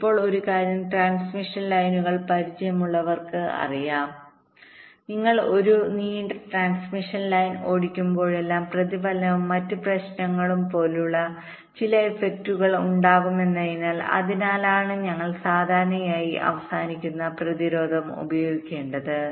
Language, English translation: Malayalam, right now, one thing now, for those who are familiar with transmission lines, will be knowing that whenever you are driving a long transmission line, there are some effects like reflection and other problems, because of which we normally have to use a terminating resistance at the end of the line